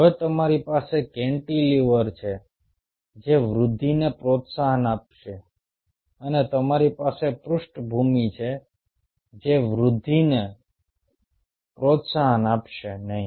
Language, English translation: Gujarati, now you have the cantilevers, which will promote the growth, and you have the background, which will not promote the growth